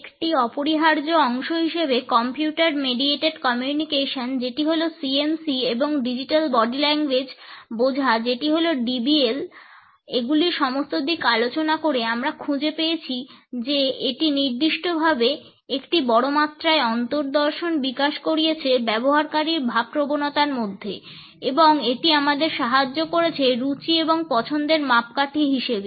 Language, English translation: Bengali, And, now we find that in all aspects of Computer Mediated Communication that is CMC and understanding of Digital Body Language that is DBL has become an indispensable part for developing an insight into the user sentiments, particularly at a massive scale and also to help us in benchmarking these tastes and preferences